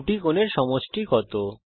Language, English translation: Bengali, What is the sum of about two angles